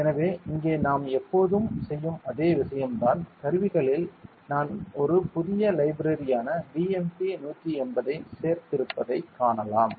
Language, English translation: Tamil, So, here it is the same thing that we always used to do ok, we can see that in the tools I have added a new library BMP180 ok